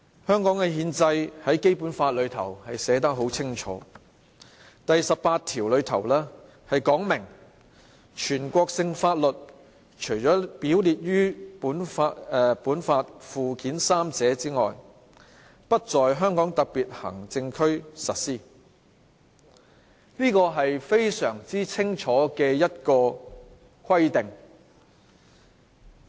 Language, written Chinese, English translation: Cantonese, 香港的憲制在《基本法》寫得很清楚，第十八條訂明："全國性法律除列於本法附件三者外，不在香港特別行政區實施。"這是非常清楚的規定。, The constitutional set - up of Hong Kong is written clearly in the Basic Law . Article 18 provides National laws shall not be applied in the Hong Kong Special Administrative Region except for those listed in Annex III to this Law